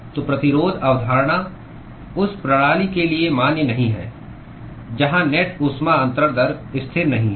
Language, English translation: Hindi, So, the resistance concept is not valid for the system where the net heat transfer rate is not constant